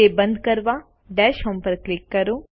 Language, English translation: Gujarati, Click Dash home to close it